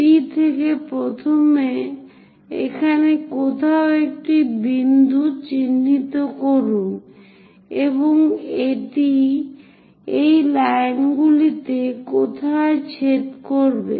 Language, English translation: Bengali, From P first of all mark a point somewhere here and this one going to intersect somewhere on this lines